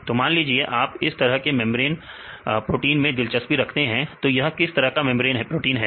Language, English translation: Hindi, So, for example, if you are interested in this type of membrane proteins, then what is this type of membrane proteins